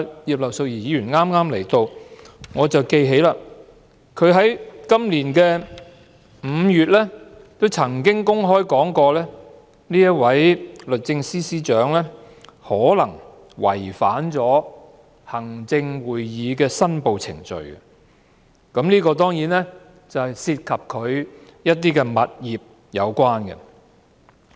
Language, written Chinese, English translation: Cantonese, 葉劉淑儀議員剛進入會議廳，我記得她在今年5月曾經公開表示，這位律政司司長可能違反了行政會議的申報程序，而這當然是與物業有關的。, Mrs Regina IP has just entered the Chamber . I remember that she said publicly in May this year that the Secretary for Justice might have violated the procedures for declaration of interests of Members of the Executive Council which was certainly related to real properties